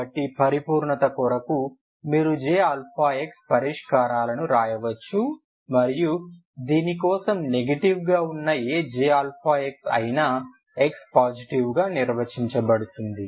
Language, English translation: Telugu, So just for the sake of completeness you can write solutions j alpha j alpha and whatever j alpha for the negative for this is for x positive